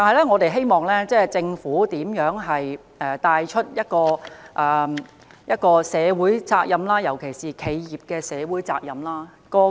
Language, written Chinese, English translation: Cantonese, 我希望政府帶頭實踐社會責任，尤其是企業社會責任。, I hope that the Government can take the lead in putting social responsibility into practice especially corporate social responsibility CSR